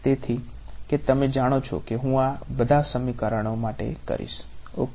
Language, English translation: Gujarati, So, that you know that I am going to do it to all of these equations ok